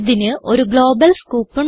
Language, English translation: Malayalam, It has a global scope